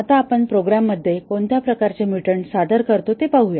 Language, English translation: Marathi, Now, let us see what are the typical types of mutants that we introduce into the program